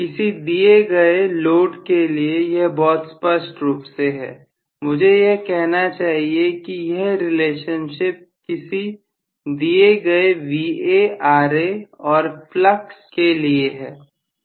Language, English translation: Hindi, This is very clearly for a given so this relationship I should say is for a given Va Ra and flux